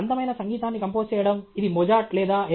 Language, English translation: Telugu, Composing beautiful music whether it is by Mozart or A